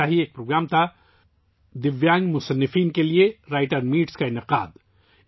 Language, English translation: Urdu, One such program was 'Writers' Meet' organized for Divyang writers